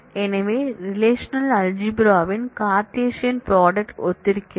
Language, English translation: Tamil, So, it kind of corresponds to the Cartesian product of the relational algebra